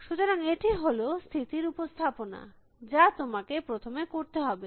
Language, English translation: Bengali, So, this is the state representation, you have to first